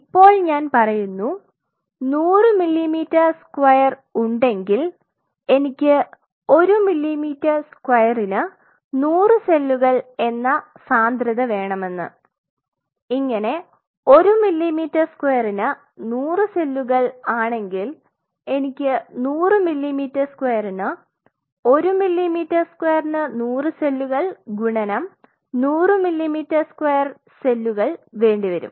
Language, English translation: Malayalam, Now I said if I have a 100 millimeter square I want a density of say 100 cells per millimeter square, if I 100 cells per millimeter square then I will be needing 100 millimeter square multiplied by 100 cells per millimeter square